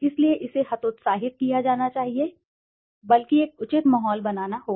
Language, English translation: Hindi, So this should be discouraged and rather a proper ambience has to be created